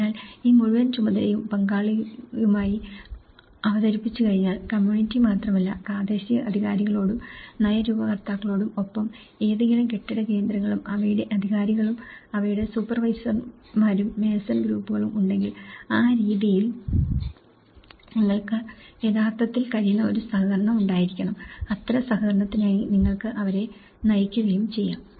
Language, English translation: Malayalam, So, once this whole task has been presented with the stakeholder, not only the community but the local authorities but the policymakers but the administrators and as well as if there is any building centres and their authorities and their supervisors and the mason groups so, in that way, there should be a collaboration you can actually and you can have to orient them for that kind of collaboration